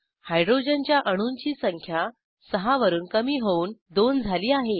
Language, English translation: Marathi, Number of hydrogen atoms reduced from 6 to 2